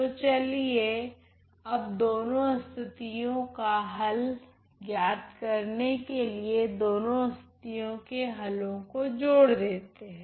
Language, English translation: Hindi, So, let us now club the solution for both the cases to come to the answer for both the cases